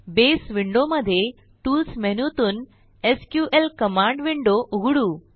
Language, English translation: Marathi, In the Base window, let us open the SQL Command Window from the Tools menu